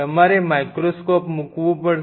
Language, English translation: Gujarati, You have to place microscope